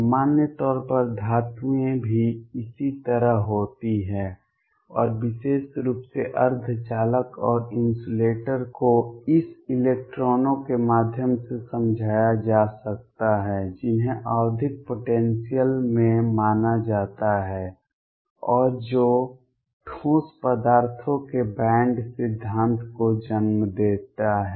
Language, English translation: Hindi, In general metals are also like this and in particular semiconductors and insulators can be explained through this electrons being considered in a periodic potential, and what gives rise to is the band theory of solids